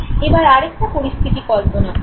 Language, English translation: Bengali, Now imagine another situation